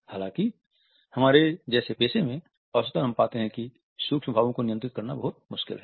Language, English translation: Hindi, However, on an average in professions like us we find that the control of micro expressions is very difficult